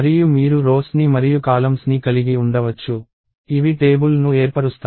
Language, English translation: Telugu, And you can have rows and columns, which form a table